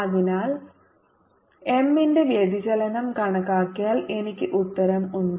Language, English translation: Malayalam, so if i calculate divergence of m, i have my answer